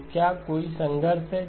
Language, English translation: Hindi, So is there a conflict